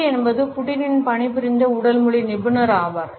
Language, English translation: Tamil, NLP is the body language expert who is worked with Putin